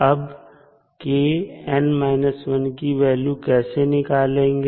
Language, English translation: Hindi, Now, how to find the value of k n minus 1